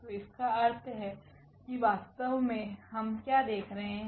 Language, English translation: Hindi, So; that means, what we are looking exactly